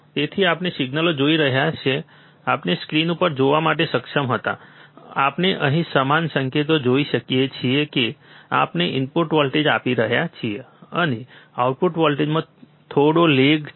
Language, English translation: Gujarati, So, we can see the signals which we were able to look at the in on the screen, similar signal we can see here we are applying the input voltage, and there is some lag in the output voltage